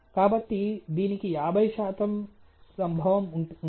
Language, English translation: Telugu, So, there is about 50 percent occurrence